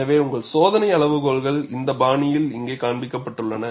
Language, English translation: Tamil, So, your screening criteria is depicted here, in this fashion